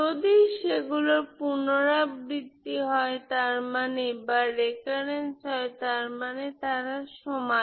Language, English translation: Bengali, If they are repeated that means they are same